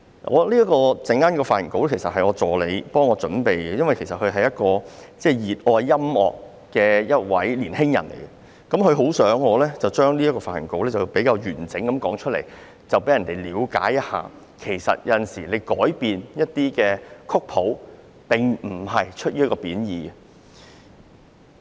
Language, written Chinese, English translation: Cantonese, 我的發言稿是我的助理為我準備的，他是一個熱愛音樂的年輕人，很想我將這篇發言稿完整地讀出，讓人了解到其實有時改變曲譜，並非出於貶意。, My script was prepared for me by my assistant . He is a young man who loves music . He wishes me to read out the whole script so that people will understand that sometimes changes are made to a score without any derogative meaning